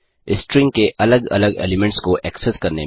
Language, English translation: Hindi, Access individual elements of the string